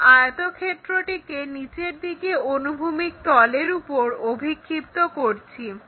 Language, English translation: Bengali, And this rectangle is making an angle with horizontal plane